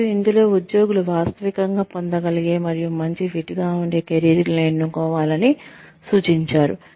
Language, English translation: Telugu, And, in this, the employees are advised to choose careers, that are realistically obtainable, and a good fit